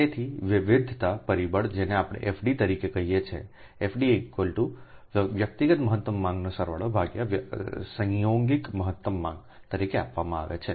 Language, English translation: Gujarati, so diversity factor we term it as fd is given as fd is equal to sum of individual maximum demand by coincident maximum demand